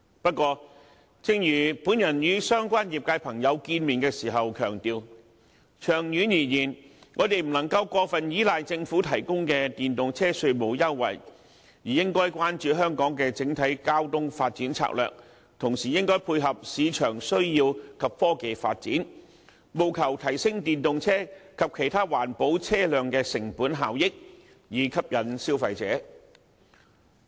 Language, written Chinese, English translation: Cantonese, 不過，正如我與相關業界朋友會面時強調，長遠而言，我們不能夠過分依賴政府提供的電動車稅務優惠，而應該關注香港的整體交通發展策略，同時配合市場需要及科技發展，務求提升電動車及其他環保車輛的成本效益，以吸引消費者。, Yet as I had emphasized when meeting with members of relevant sectors we just cannot excessively rely on the Governments tax concessions for EVs in the long run . Instead we should focus on Hong Kongs overall transport development strategy and complement with market needs as well as technological development in order to enhance the cost - effectiveness of EVs and other environment - friendly vehicles so that consumers will find switching to EVs an attractive option